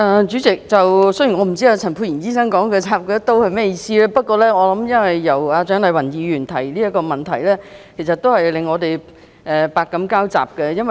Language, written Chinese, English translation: Cantonese, 主席，雖然我不知道陳沛然醫生說蔣麗芸議員"插他一刀"是甚麼意思，不過這項質詢由蔣麗芸議員提出，真是令我們百感交集。, President though I do not know what Dr Pierre CHAN means by saying that Dr CHIANG Lai - wan has stabbed him in his back the fact that this question was raised by Dr CHIANG Lai - wan does fill us with all sorts of feelings